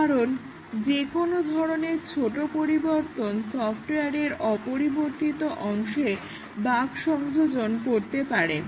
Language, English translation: Bengali, No, we cannot do that because any change small change will induce bugs in the unchanged part of the software